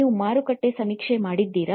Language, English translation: Kannada, Have you done a market survey